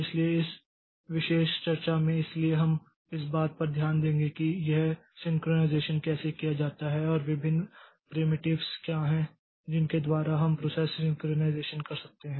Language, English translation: Hindi, So, in this particular discussion, so we'll be looking into how this synchronization is done and what are the different primitives by which you can do this process synchronization